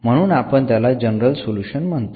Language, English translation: Marathi, So, therefore, we are calling it has the general solution